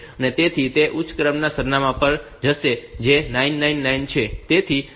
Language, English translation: Gujarati, So, it will go to the higher order address that is 999